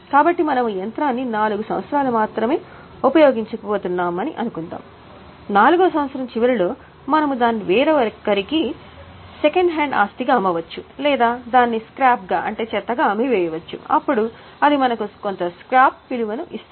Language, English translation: Telugu, So, suppose we are going to use the machine only for four years, at the end of fourth year, we may sell it as a second hand asset to someone else or we may scrap it and it will give you some scrap value